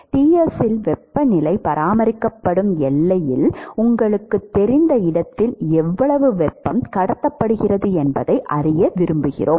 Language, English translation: Tamil, We want to know how much heat is being transported at the at the you know the boundary where the temperature is maintained at Ts